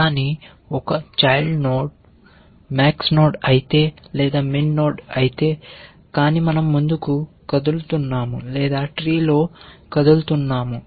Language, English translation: Telugu, Either all children, if it is a max node or one child if it is a min node, but we are moving forward or moving down in the tree